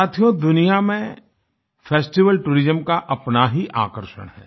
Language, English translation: Hindi, Friends, festival tourism has its own exciting attractions